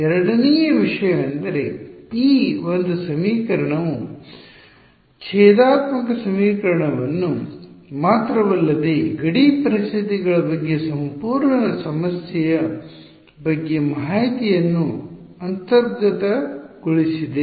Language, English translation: Kannada, The second thing is notice that this one equation has inbuilt into it information about the entire problem not just the differential equation, but the boundary conditions also how is that